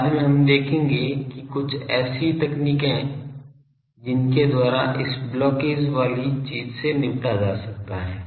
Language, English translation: Hindi, In the later, we will see that some of the techniques for by which this blockage thing can be tackled